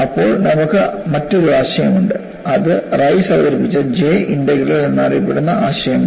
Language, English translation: Malayalam, Then you have another concept, which was introduced by Rice, which is known as J integral